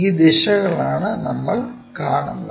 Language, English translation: Malayalam, These are the directions what we will see